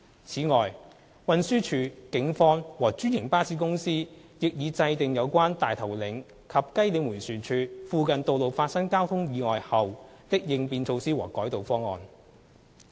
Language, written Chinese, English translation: Cantonese, 此外，運輸署、警方和專營巴士公司亦已制訂有關大頭嶺及雞嶺迴旋處附近道路發生交通意外後的應變措施和改道方案。, In addition TD the Police and franchised bus companies have drawn up contingency measures and diversion schemes for implementation in the event of traffic accidents on roads near Tai Tau Leng Roundabout and Kai Leng Roundabout